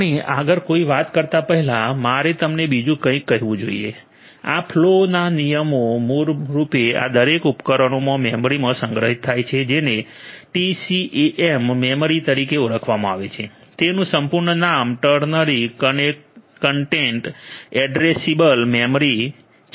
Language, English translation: Gujarati, Before we talk any further I should also tell you something else, these flow rules are basically stored in a memory in each of these devices which is known as the TCAM memory the full form of which is Ternary Content Addressable Memory